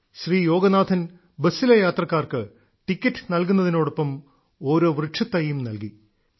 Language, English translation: Malayalam, Yoganathanjiwhile issuing tickets to the passengers of his busalso gives a sapling free of cost